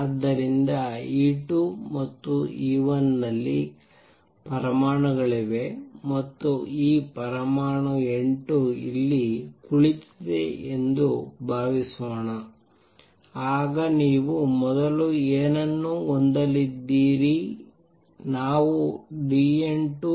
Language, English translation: Kannada, So, suppose there are atoms in E 2 and E 1 and there is this atom N 2 sitting here then what you have going to have earlier we said the dN 2 by dt is minus A 21 N 2